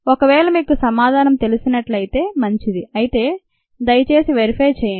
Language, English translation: Telugu, if you have this answer, fine, but please verify